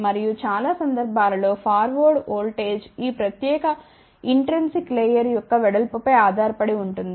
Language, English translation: Telugu, And, majority of the time the forward voltage depends upon the width of this particular intrinsic layer ok